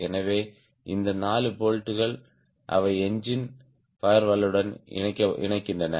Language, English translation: Tamil, so these four bolts, they attach the engine to the firewall